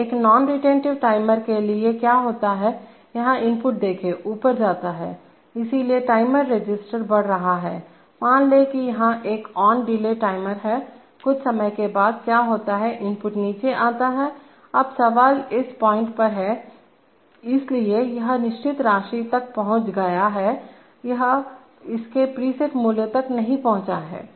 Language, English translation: Hindi, So, for a non retentive timer what happens is that, see the, see the input here, goes up, so the timing register starts increasing, suppose it is an ON delay timer, after some time, what happens is that, the input comes down, now the question is at this point, so it has timed up to certain amount, it has not reached his preset value